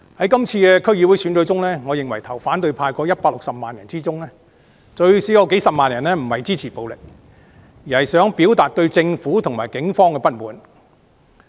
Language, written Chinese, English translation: Cantonese, 今次區議會選舉，我認為票投反對派的160萬人中，最少有幾十萬人並非支持暴力，而是想表達對政府和警方的不滿。, Regarding the DC Election this time around among the 1.6 million electors voting for the opposition camp I believe at least several hundred thousands of them do not support violence and they merely want to express their discontent with the Government and the Police